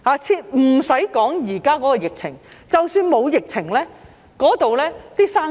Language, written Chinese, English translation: Cantonese, 不用說現時的疫情，即使沒有疫情，那裏也難以做生意。, There is no need to mention the current epidemic it is difficult to do business there even if there is no such an epidemic